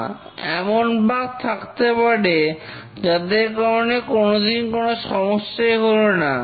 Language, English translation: Bengali, No, there may be bugs which may never cause a failure